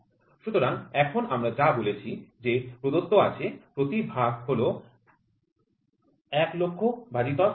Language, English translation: Bengali, So, now what we have said is they said each division is 1 by 100000 so, which is nothing, but 0